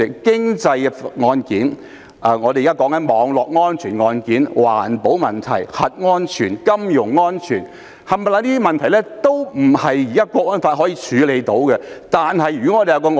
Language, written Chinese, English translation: Cantonese, 經濟案件、現時討論的網絡安全案件、環保問題、核安全及金融安全等問題，全部都不是《香港國安法》所能處理的。, Cases relating to the economy cyber security under recent discussions environmental protection nuclear safety financial security cannot be dealt with by the National Security Law alone